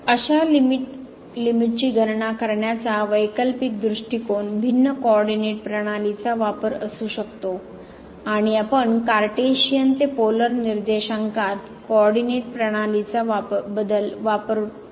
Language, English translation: Marathi, An alternative approach to compute such limit could be using a different coordinate system and we can use the change of coordinate system from Cartesian to Polar coordinates